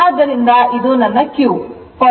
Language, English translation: Kannada, So, this is my q right